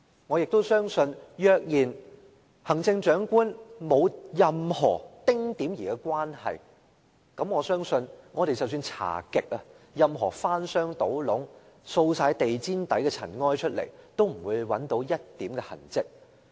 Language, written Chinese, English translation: Cantonese, 我也相信，若然行政長官在這件事情上沒有任何丁點兒的關係，無論我們怎樣調查，翻箱倒篋，把地氈下的塵埃盡掃出來，都不會找到一點痕跡。, I also believe that if the Chief Executive is not in any way related to this incident we will not be able to find anything wrong in the investigation no matter how hard we overturn trunks and boxes or sweep everything out from under the carpet